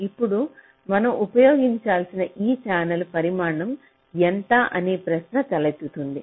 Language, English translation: Telugu, now the question arises that what is the size of this channel we need to use